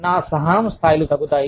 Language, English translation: Telugu, My tolerance levels, could go down